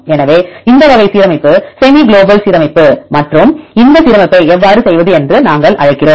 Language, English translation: Tamil, So, this type of alignment; we call as semi global alignment and how to do this alignment